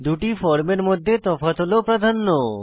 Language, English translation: Bengali, Difference in the two forms is precedence